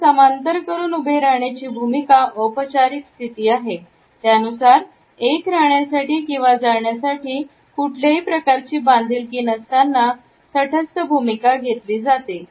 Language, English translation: Marathi, The parallel stance or at attention is a formal position which shows a neutral attitude without any commitment; either to stay or to go